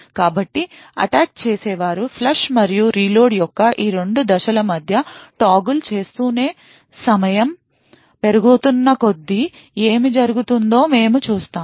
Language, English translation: Telugu, So while the attacker keeps toggling between these 2 steps of flush and reload, we would see what happens as time progresses